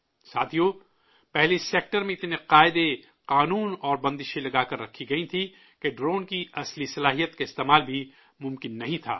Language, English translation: Urdu, Friends, earlier there were so many rules, laws and restrictions in this sector that it was not possible to unlock the real capabilities of a drone